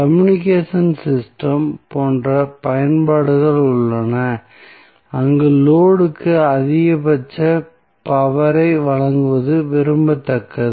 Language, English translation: Tamil, So, there are such applications such as those in communication system, where it is desirable to supply maximum power to the load